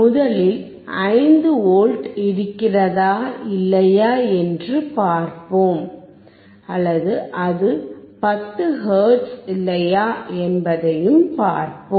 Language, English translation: Tamil, First we will see whether it is 5V or not; whether it is 10 hertz or not